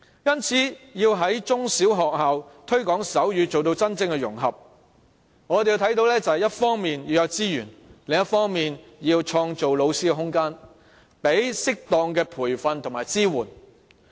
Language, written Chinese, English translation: Cantonese, 因此，要在中小學校推廣手語，做到真正融合，我們認為一方面要有資源；另一方面要為老師創造空間，提供適當的培訓和支援。, For that reason if we wish to promote sign language and achieve real integration education in primary and secondary schools we consider that we should have the necessary resources in place on the one hand and we should create space for teachers on the other by way of providing them with suitable trainings and support